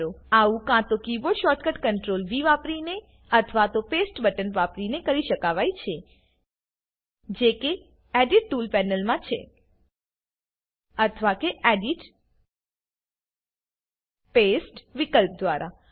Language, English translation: Gujarati, This can be done with either the keyboard shortcut Ctrl+V or the Paste button In the Edit tools panel or Edit gtgt Paste option